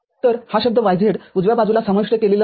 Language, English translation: Marathi, So, this term yz is not included in the right hand side